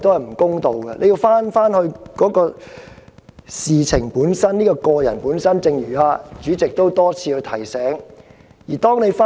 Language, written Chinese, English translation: Cantonese, 議員必須返回事情的本身，他的個人本身，正如主席多次提醒議員返回議題般。, This is unfair . Members must return to the matter itself to his personal behaviour itself just as what they do upon the Presidents repeated reminder that they should return to the subject matter